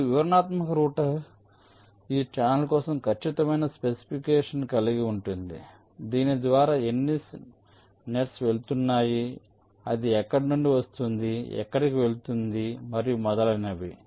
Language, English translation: Telugu, so now detailed router will be having the exact specification for this channel: how many nets are going through it, from where it is coming from, when it is going and so on